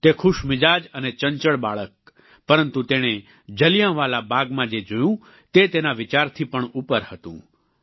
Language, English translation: Gujarati, A happy and agile boy but what he saw at Jallianwala Bagh was beyond his imagination